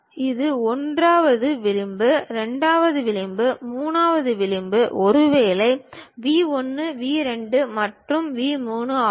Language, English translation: Tamil, This is the 1st edge, 2nd edge, 3rd edge maybe the vertices are V 1, V 2 and V 3